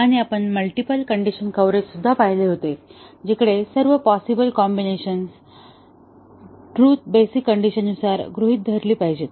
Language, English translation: Marathi, And then, we had seen the multiple condition coverage; where all possible combination sub truth values should be assumed by the basic conditions